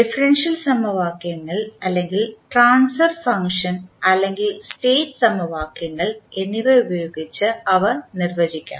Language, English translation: Malayalam, So, they can be defined with respect to differential equations or maybe the transfer function or state equations